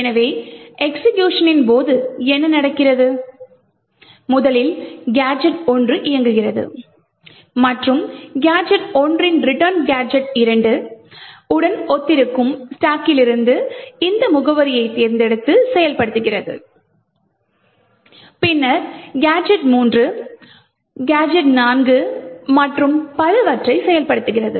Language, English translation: Tamil, So, what happens during executions, is first gadget 1 executes and the return in gadget 1 would pick this address from the stack which corresponds to gadget 2 and execute, then gadget 3, gadget 4 and so on executes in such a way